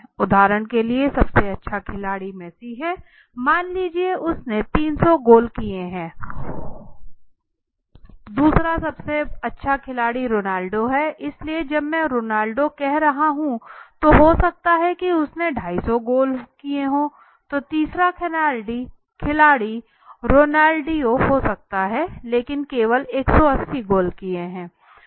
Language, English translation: Hindi, We cannot say that right for example the best player let say is Messi for example let say Messi has scored let say 300 goals right the second best player let say is Ronaldo right so when I am saying Ronaldo, Ronaldo might have you know struck 250 goals so third player is I am saying is a my Ronaldino okay now he might have been a third player but he has scored only 180 goals